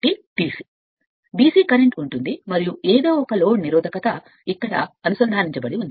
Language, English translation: Telugu, Since the current will be DC, and that is the sum load resistance is connected here right